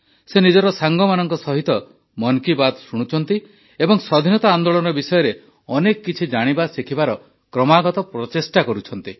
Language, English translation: Odia, He listens to Mann Ki Baat with his friends and is continuously trying to know and learn more about the Freedom Struggle